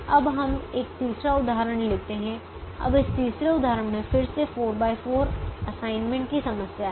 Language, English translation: Hindi, this third example again has a four by four assignment problem